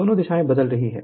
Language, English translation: Hindi, So, both directions are changing